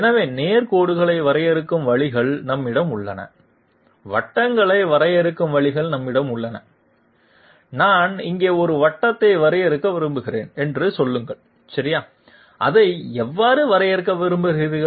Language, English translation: Tamil, And therefore, we have ways of defining straight lines, we have ways of defining circles, say I want to define a circle here okay, how would you would you like to define it